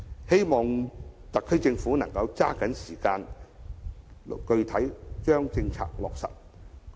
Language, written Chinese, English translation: Cantonese, 希望特區政府能抓緊時間，具體落實政策。, I hope that the SAR Government will promptly implement these policies